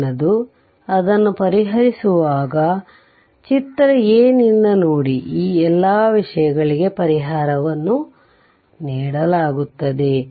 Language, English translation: Kannada, That next is you when you solve it look from figure a that is all this things solutions are given to you right